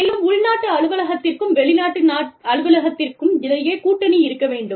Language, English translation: Tamil, And, the alliance between, the home country office, and the foreign country office, has to be there